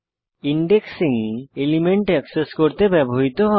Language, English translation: Bengali, Indexing is used to access elements of an array